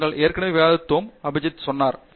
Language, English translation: Tamil, Purpose, we have already discussed, Abhijith has said that